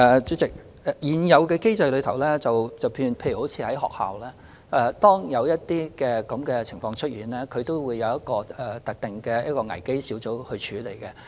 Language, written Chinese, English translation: Cantonese, 主席，根據現有機制，例如當學校出現這種情況時，有關的事情會交由一個特定的危機小組處理。, President under the existing mechanism for example when a case of this nature has been found at schools the matter will be referred to a dedicated crisis management team